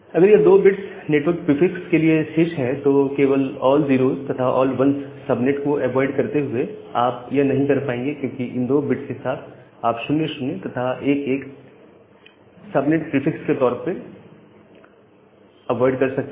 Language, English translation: Hindi, If 2 bits are remaining for the network prefix just by avoiding all zero’s and all one subnet, you will not be able to do that, because with 2 bits, you can you need to avoid 0 0 and 1 1 as the subnet prefix